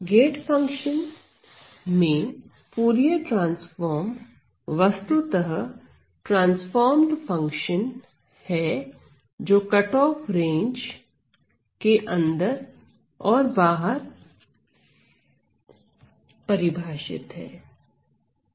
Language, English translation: Hindi, So, in a gate function, the Fourier transformed are transformed functions are specifically defined inside the cutoff range and outside the cutoff range